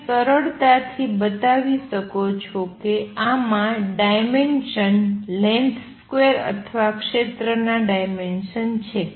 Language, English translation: Gujarati, You can easily show that this has dimensions of length square or area dimensions